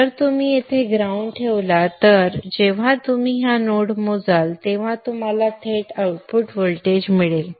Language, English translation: Marathi, If we keep the ground here then when you measure this node you will get directly the output voltage